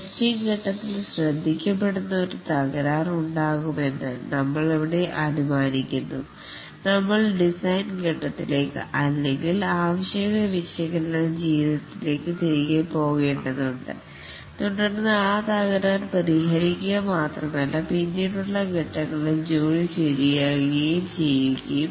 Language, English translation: Malayalam, Here we assume that there can be a defect which will get noticed during the testing phase and we need to go back to the design phase or maybe the requirement analysis phase and then fix that defect and not only that fix the work in the later phases as well